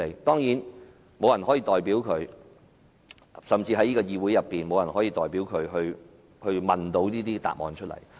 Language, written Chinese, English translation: Cantonese, 當然，沒有人可以代表他們，甚至在這個議會內也沒有議員可以代表他們提問，並得到答覆。, Of course no one can represent them . Even no Member in this legislature can represent them to ask such a question and receive a reply